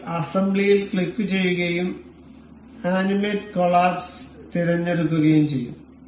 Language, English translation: Malayalam, We will click on assembly and we will select animate collapse